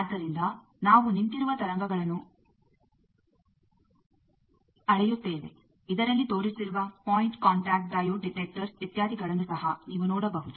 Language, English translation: Kannada, So, we measure that standing wave thing also you can see the point contact diode detectors etcetera that is shown in this